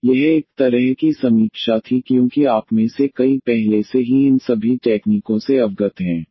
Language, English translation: Hindi, So, it was kind of review because many of you are already aware with all these techniques